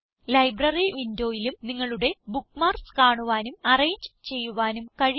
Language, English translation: Malayalam, You can also view and arrange your bookmarks in the Library window